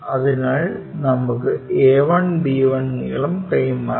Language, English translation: Malayalam, So, let us transfer that a 1, b 1 length